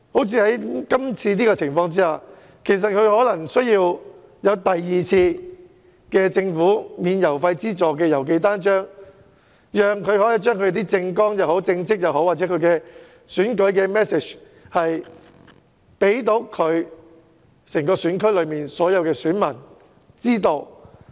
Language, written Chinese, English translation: Cantonese, 正如今次的情況，其實候選人可能需要政府提供第二次免付郵資郵寄單張的安排，讓他能夠將政綱、政績或選舉信息提供給整個選區的選民。, Considering the current circumstances some candidates might need a second postage - free arrangement to send out pamphlets so that they can inform electors of their constituency their election manifesto past performance in administration or other electoral messages